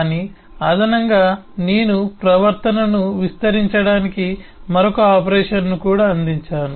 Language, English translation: Telugu, but in addition, I have also provided another operation to extend the behavior